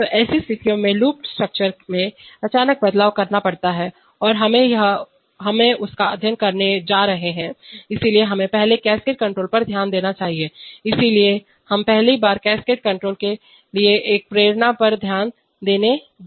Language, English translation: Hindi, So in such situations sudden changes to the loop structure has to be made and we are going to study that, so let us first look at cascade control, so we are first going to look at the, at a motivation for cascade control